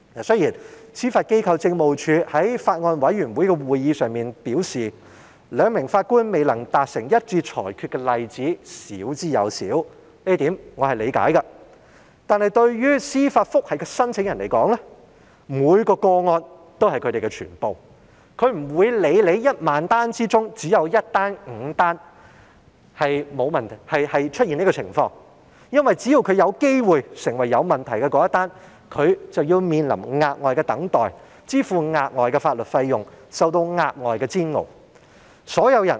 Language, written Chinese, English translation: Cantonese, 雖然，司法機構政務處在法案委員會的會議上表示，兩名法官未能達成一致裁決的例子少之又少，這一點我是理解的，但對司法覆核申請人而言，每宗個案也是他們的全部，他們不會理會在1萬宗個案中，只有1宗或5宗出現上述情況，因為只要他有機會成為出現問題的一宗，他便要面臨額外等待時間，支付額外法律費用，受到額外的煎熬。, Although the Judiciary Administration remarked at the Bills Committees meeting that it was very rare for the two judges fail to reach a unanimous decision which I do understand each case means everything to the applicant concerned . It does not mean anything to the applicant no matter if only one or five out of 10 000 cases falls into that category because he may have to spend extra waiting times pay additional legal costs and undergo further suffering as long as something may go wrong with his case